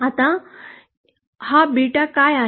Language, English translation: Marathi, Now this what is this beta